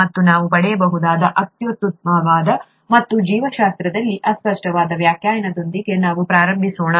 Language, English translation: Kannada, And that is the best that we can get, and let us start with the vaguest definition in biology pretty much